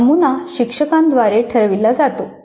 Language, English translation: Marathi, This is the pattern that is decided by the instructor